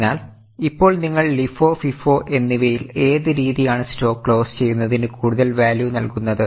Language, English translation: Malayalam, So now if you have understood understood LIFO and FIFO method, which method will give you more value of closing stock